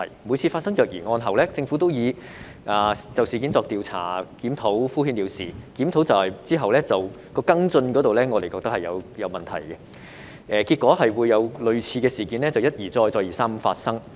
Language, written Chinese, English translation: Cantonese, 每次發生虐兒案後，政府都以"會就事件作出調查檢討"等回應敷衍了事，而檢討後的跟進工作同樣出現問題，結果類似的事件一而再、再而三地發生。, Whenever a child abuse case comes up the Government always responded perfunctorily that it would investigate and review the case . Yet there are also problems with its post - review follow - up actions thus causing similar incidents to recur